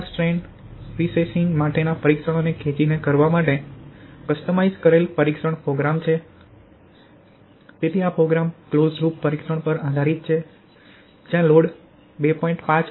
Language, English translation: Gujarati, So this is the test program customised for pull out test for prestressing strands, so where this program is based on closed loop testing where load will be applied at the rate of 2